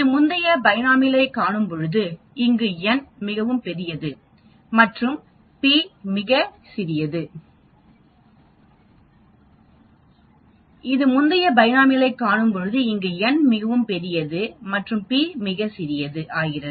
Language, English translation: Tamil, It is sort of related to the previous one which we saw the binomial but here the n is very, very large and p becomes very, very small actually